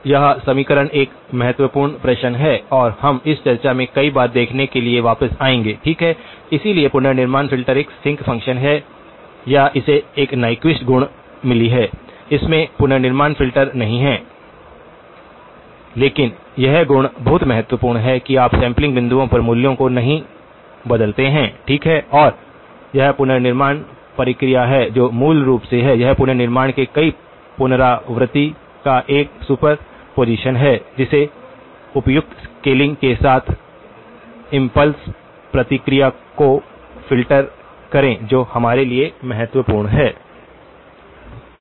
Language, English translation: Hindi, So, this equation is a key question and we will come back to looking at this multiple time in our discussion, okay, so the reconstruction filter is a sinc function or it has got a Nyquist property, it does not have (()) (30:27) reconstruction filters as well but this property is very important that you do not change the values at the sampling points, okay and this is the reconstruction process it basically, it turns out to be a superposition of the several repetitions of the reconstruction filter impulse response with the appropriate scaling that is very important for us